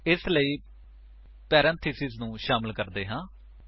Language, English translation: Punjabi, So let us add the parentheses